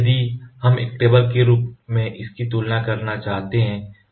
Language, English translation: Hindi, So, if we wanted to compare it in terms of a table